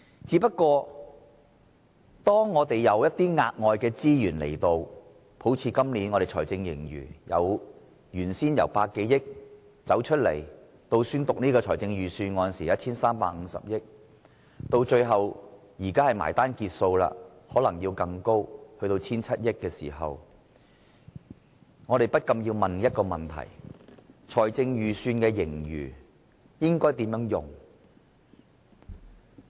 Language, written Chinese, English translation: Cantonese, 只不過當財政出現額外盈餘，好像今年的財政盈餘由原先估計的100多億元，到宣讀預算案時的 1,350 億元，最後到現在截數時更可能高達 1,700 億元，我們不禁要問，這筆財政盈餘應該如何運用呢？, Just that when there are unexpected fiscal surpluses like this year for instance the predicted fiscal surplus increases from some 10 billion to 135 billion by the time of Budget delivery and finally to the present 170 billion by the cut - off time we cannot help but ask how we should use the surplus